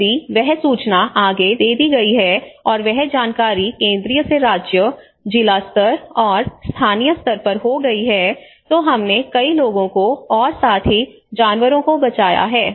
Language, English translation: Hindi, If that information has been passed out and that information has been from central to the state, to the district level, and to the local level, we would have saved many lives we have saved many livestock and as well as animals